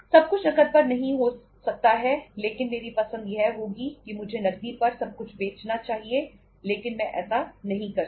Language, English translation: Hindi, Everything canít be on cash but if my choice would be that I should be selling everything on cash but I cannot do that